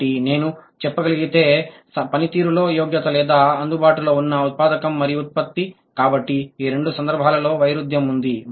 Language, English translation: Telugu, So, the competence in the performance if I can say, or the available input and the production, so there is a discrepancy in both cases